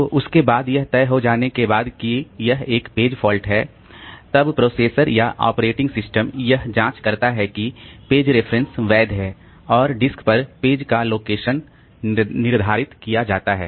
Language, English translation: Hindi, So, after that, after it has been decided that it is a page fault, then the processor with the operating system will check that the page reference was legal and determine the location of the page on the disk